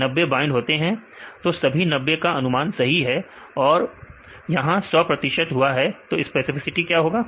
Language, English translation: Hindi, So, all the 90 are predicted correctly; so, that will be 100 percent; so, what is specificity